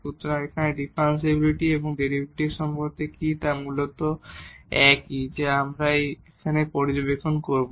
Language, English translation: Bengali, So, here differentiability and the derivative what is the relation or basically they are the same what we will observe now here